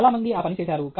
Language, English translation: Telugu, Many people have done that